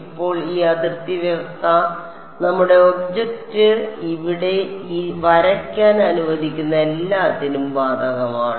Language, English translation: Malayalam, Now this boundary condition applies to what all does it apply to let us draw our object over here ok